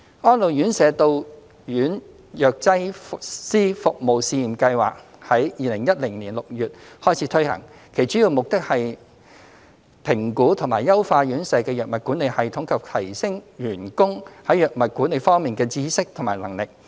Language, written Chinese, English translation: Cantonese, "安老院舍到院藥劑師服務試驗計劃"於2010年6月開始推行，其主要目的是評估及優化院舍的藥物管理系統及提升員工在藥物管理方面的知識和能力。, The Pilot Scheme on Visiting Pharmacist Services for Residential Care Homes for the Elderly was launched in June 2010 . Its main aim was to assess and optimize the drug management systems in the RCHs and enhance the knowledge and capability of their staff in drug management